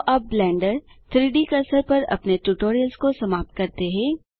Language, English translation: Hindi, So that wraps up our tutorial on Blenders 3D Cursor